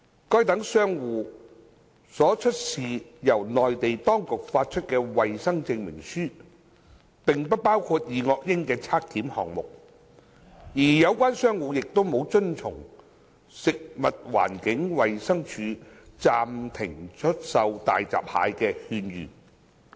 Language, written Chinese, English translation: Cantonese, 該等商戶所出示由內地當局發出的衞生證明書並不包括二噁英檢測項目，而有關商戶亦沒有遵從食物環境衞生署暫停出售大閘蟹的勸諭。, The health certificates produced by such traders which had been issued by the Mainland authorities did not include any item on dioxin test and the traders concerned did not follow the advice of the Food and Environmental Hygiene Department FEHD of suspending the sale of hairy crabs